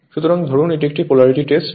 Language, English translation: Bengali, So, suppose this is Polarity Test